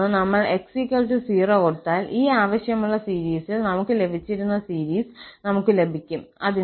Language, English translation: Malayalam, For another one, when we put x equal to 0, we will get the series which we were getting in this desired series